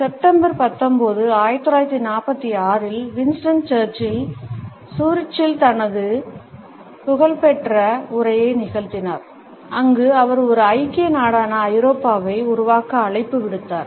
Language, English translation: Tamil, On September 19, 1946, Winston Churchill had delivered his famous speech in Zurich and where he had called for the creation of a United State of Europe